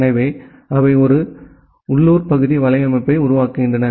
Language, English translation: Tamil, So, they form a, they form a local area network